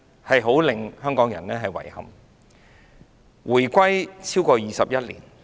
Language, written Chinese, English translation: Cantonese, 香港現已回歸超過21年。, Hong Kong has been returned to China for over 21 years